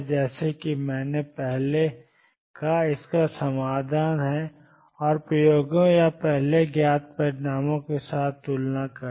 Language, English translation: Hindi, As I said earlier is the solution of this and comparison with the experiments or earlier known results